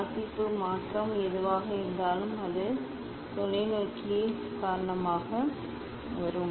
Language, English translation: Tamil, whatever the change of reading, it will come due to the telescope